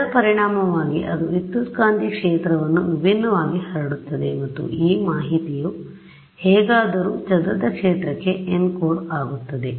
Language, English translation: Kannada, As a result of which its scatters the electromagnetic field differently and that information somehow gets then encoded into the scattered field